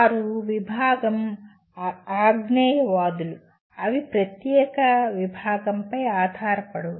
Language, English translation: Telugu, They are discipline agnostic, they are not dependent on the particular discipline